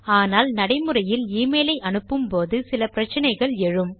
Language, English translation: Tamil, But when we do actually send the email, we can see that there are some problems